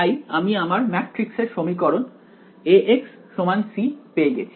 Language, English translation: Bengali, So, I have got my matrix equation A x equal to c and we have done this ok